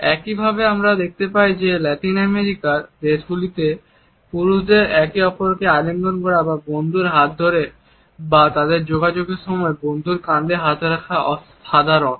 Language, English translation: Bengali, Similarly, we find that in Latin American countries it is common for men to hug each other or grab the arm of a friend or place their hand on the shoulder of a friend during their communication